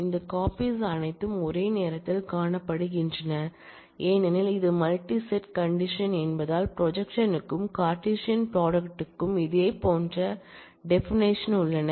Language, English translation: Tamil, And all those copies can be seen simultaneously, because it is a multi set condition, similar definitions are hold for projection, as well as for Cartesian product